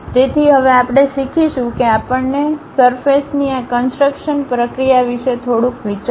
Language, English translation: Gujarati, So, now we will learn a we will have some idea about these surface construction procedure step by step